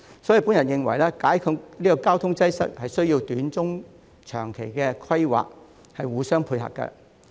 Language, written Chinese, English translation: Cantonese, 因此，我認為解決交通擠塞需要短、中、長期的規劃互相配合。, Therefore I think that solving traffic congestion requires short - term mid - term and long - term planning which should complement one another